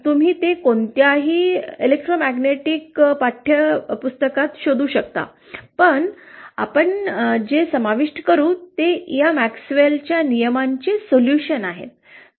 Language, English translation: Marathi, You can find it in any electromagnetic textbook but what we will cover is the solutions of these MaxwellÕs laws